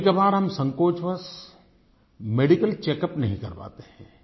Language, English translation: Hindi, Sometimes we are reluctant to get our medical checkup done